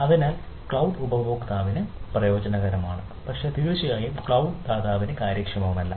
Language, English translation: Malayalam, right, so that means beneficial for cloud user but not efficient, definitely not efficient for the cloud provider